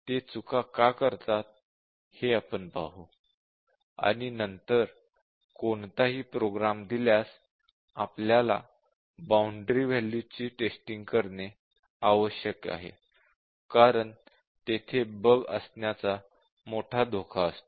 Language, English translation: Marathi, We will just see why they commit mistakes; and then given any program, it is essential that we test the boundary values, because there is a large risk of bugs existing there